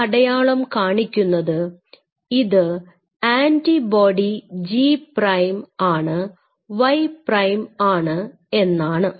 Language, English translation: Malayalam, That this sign is saying that this is an antibody G o prime Y prime